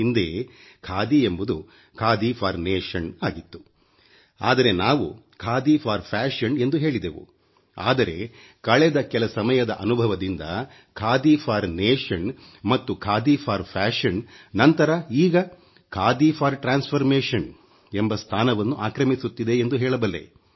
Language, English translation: Kannada, Khadi was Khadi foundation earlier and we talked of Khadi fashion but with my recent experience I can say that after Khadi for nation and Khadi for fashion now, it is becoming Khadi for transformation